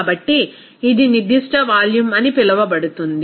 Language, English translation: Telugu, So, it will be called as a specific volume